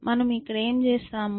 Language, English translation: Telugu, And what we do here